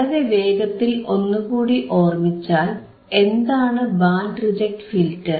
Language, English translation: Malayalam, So, to quickly recall, what is band reject filter